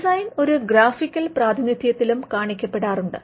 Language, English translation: Malayalam, The design is also shown in a graphical representation